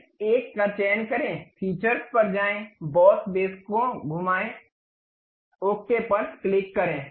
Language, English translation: Hindi, Select this one, go to features, revolve boss base, click ok